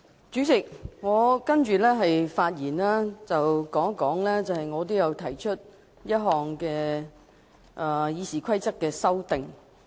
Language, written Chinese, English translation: Cantonese, 主席，我接下來要談一談我提出的一項《議事規則》修訂議案。, President in the following part of my speech I wish to briefly discuss my amending motion on RoP